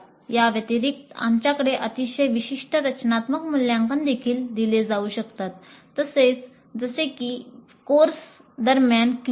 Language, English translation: Marathi, Additionally, we can also have very specific formative assessments administered like physes during the course